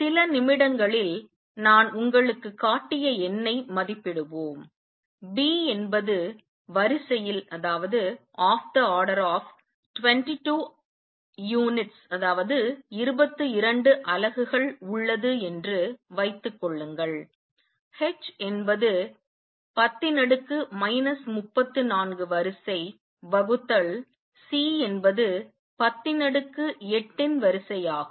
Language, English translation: Tamil, Let us estimate the number I have just shown you few minutes suppose B is of the order 22 units h is of the order of 10 raise to minus 34 divided by C is of the order of 10 raise to 8